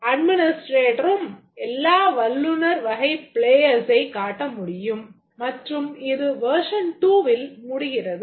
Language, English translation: Tamil, The administrator can display all the expert category of players and this will be done in the version 2